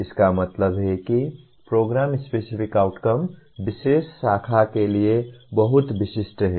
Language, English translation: Hindi, That means the Program Specific Outcomes are very specific to particular branch